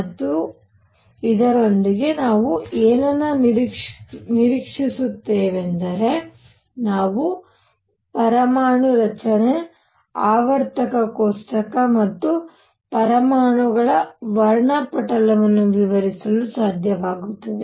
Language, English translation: Kannada, And what we anticipate with this we should be able to explain atomic structure, periodic table and spectra of atoms and so on